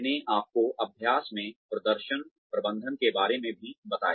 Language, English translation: Hindi, I also, told you about, performance management in practice